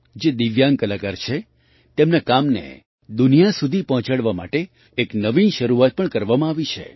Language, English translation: Gujarati, An innovative beginning has also been made to take the work of Divyang artists to the world